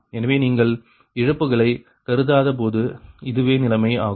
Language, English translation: Tamil, so this is the condition when you are not considering the losses, right